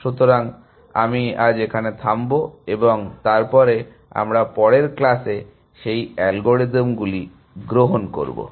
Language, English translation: Bengali, So, I will stop here and then we will take those algorithms of in the next class essentially